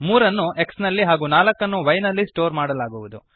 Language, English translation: Kannada, 3 will be stored in x and 4 will be stored in y